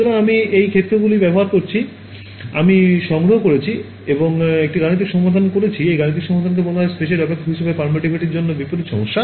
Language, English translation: Bengali, So, I have to use these fields that I have collected and solve a mathematical problem, this mathematical problem is what is called in inverse problem to get permittivity as a function of space